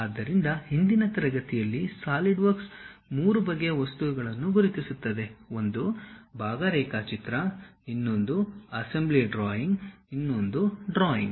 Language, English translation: Kannada, So, in the earlier class, we have learned about Solidworks identifies 3 kind of objects one is part drawing, other one is assembly drawing, other one is drawings